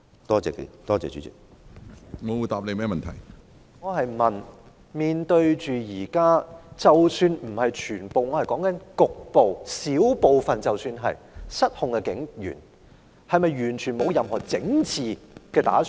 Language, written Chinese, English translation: Cantonese, 主席，我是問面對現時——即使不是全部，我說的是局部——小部分失控的警員，當局是否完全沒有任何整治的打算？, President my question is about police officers―I am not referring to all police officers but only some of them―the small number of police officers who have gone out of control now do the authorities not have any plan to fix this?